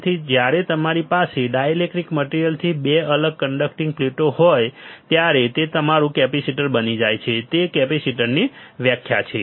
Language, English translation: Gujarati, So, when you have 2 conducting plate separated by dielectric material it becomes your capacitor, that is the definition of a capacitor